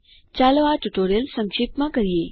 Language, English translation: Gujarati, Lets summarize the tutorial